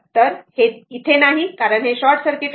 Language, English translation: Marathi, So, this is not there because it is short circuited